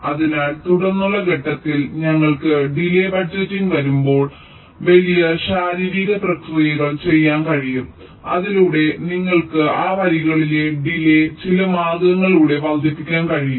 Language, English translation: Malayalam, so once we have the delay budgeting, at a subsequent step we can do some physical process by which you can actually increase the delays in those lines by some means